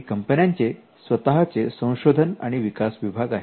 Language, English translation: Marathi, And companies which have an research and development department